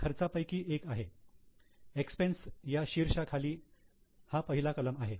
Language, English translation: Marathi, In fact, this is the first item under the expense head